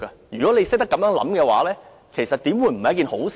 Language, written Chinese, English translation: Cantonese, 如果懂得這樣理解的話，為何不是一件好事呢？, If Members can interpret the picture this way why is this not a good development?